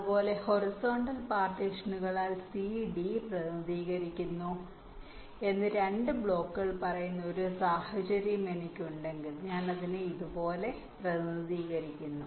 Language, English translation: Malayalam, similarly, if i have a scenario where two blocks, say c and d, represent by horizontal partitions, i represent it as this